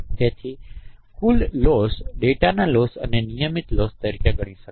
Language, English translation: Gujarati, So total loss can be considered as the data loss and the regularization loss